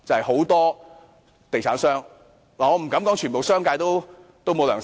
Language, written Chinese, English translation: Cantonese, 很多地產商——我不敢說整個商界——都沒有良心。, Many real estate developers―I dare not say the entire business sector―have no conscience